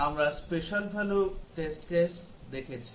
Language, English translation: Bengali, We have looked at special value test cases